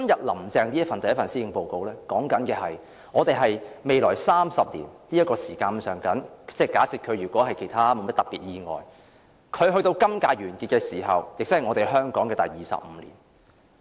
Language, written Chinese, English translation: Cantonese, "林鄭"的第一份施政報告提到，我們未來約有30年，假設其間她沒有發生特別事故，能夠完成她今屆任期，她離任時會是香港回歸的第二十五年。, In her first Policy Address Carrie LAM mentions that we will have some 30 years in the future . If she can finish her term with no special incidents happening by the time she leaves office it will be the 25 year since the handover of sovereignty